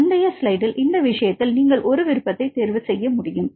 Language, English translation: Tamil, So, in this case in the previous slide you can have an option